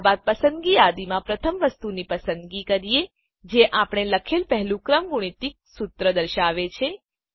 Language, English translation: Gujarati, Then choose the first item in the Selection list denoting the first factorial formula we wrote